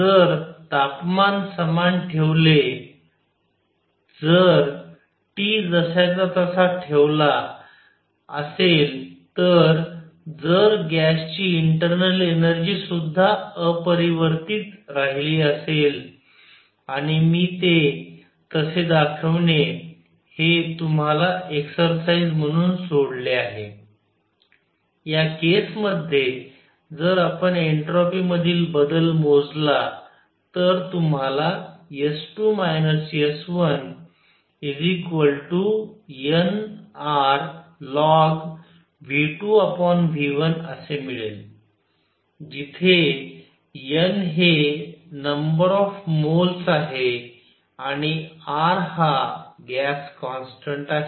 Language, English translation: Marathi, If the temperature is kept the same if T is kept unchanged the internal energy of gas also remains unchanged and I leave it as an exercise for you to show that; in this case, if we calculate the entropy change you get S 2 minus S 1 to be equal to n R log of V 2 minus V 1 V 2 over V 1 where n is the number of moles and R is gas constant